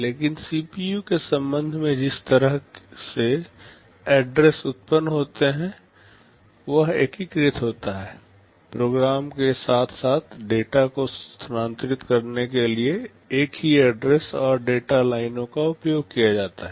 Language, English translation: Hindi, But with respect to the CPU the way the addresses are generated are unified, same address and data lines are used to transfer program as well as data